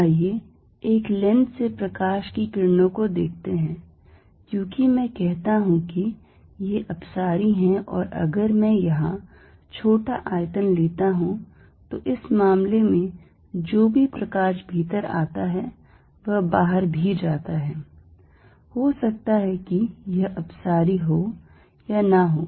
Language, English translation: Hindi, Let see light rays from a lens, because I say are diverging and if I take small volume here, in that case whatever light comes in is also going out, it maybe may not be diverging